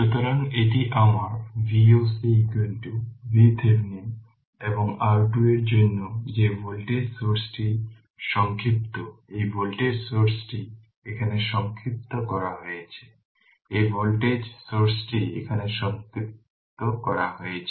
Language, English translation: Bengali, So, this is my V o c is equal to V Thevenin right and for R Thevenin that voltage source is shorted this these voltage source is shorted here, this voltage source is shorted here right